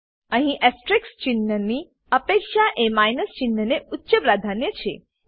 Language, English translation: Gujarati, Here the asterisk symbol has higher priority than the minus sign